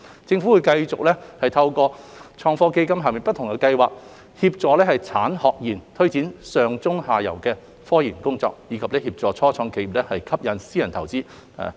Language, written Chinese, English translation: Cantonese, 政府會繼續透過創科基金下不同的計劃協助產學研推展上、中、下游的科研工作，以及協助初創企業吸引私人投資。, The Government will continue to support the industry academia and research institutes through different schemes under ITF covering upstream midstream downstream research and to help technology start - ups attract private investment